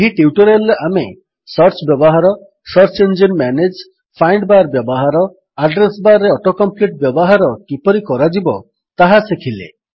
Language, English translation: Odia, In this tutorial we will learnt how to Use Search, Manage Search Engine,Use the find bar,use Auto compete in Address bar Try this comprehension test assignment